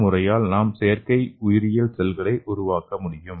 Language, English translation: Tamil, And we can make artificial biological cell okay